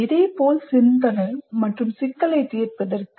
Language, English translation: Tamil, Similarly for thinking, similarly for problem solving